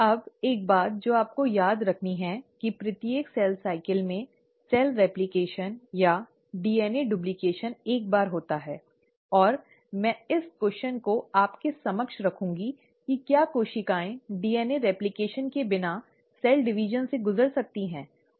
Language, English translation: Hindi, Now one thing I want you to remember is that in every cell cycle, the DNA replication or the DNA duplication happens once, and, I will pose this question to you, that can cells afford to undergo a cell division, without undergoing DNA replication